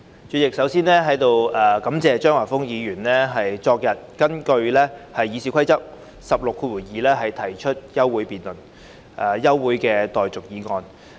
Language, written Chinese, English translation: Cantonese, 主席，首先感謝張華峰議員昨天根據《議事規則》第162條提出休會待續議案。, First of all President I thank Mr Christopher CHEUNG for proposing the adjournment motion under Rule 162 of the Rules of Procedure yesterday